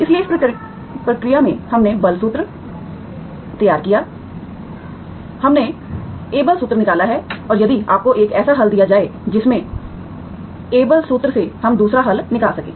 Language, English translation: Hindi, So in the process we devised Abel’s formula, we derived Abel’s formula and if you are given one solution through which, through this Abel’s formula we can find the other solution